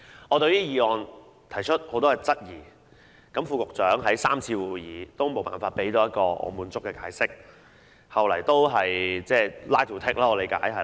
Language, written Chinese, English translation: Cantonese, 我對議案提出很多質疑，副局長在3次會議上也無法提供一個令我滿意的解釋，後來據我理解只是重複 line to take。, I have raised many queries about the Resolution to which the Under Secretary was unable to provide satisfactory explanations at the three meetings . To my understanding he was just repeating the line to take